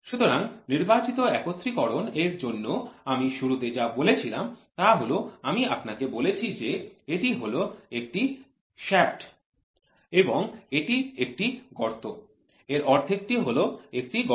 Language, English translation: Bengali, So, whatever I told in the beginning for selective assembly I told you it is it is one shaft and one hole one half that is one hole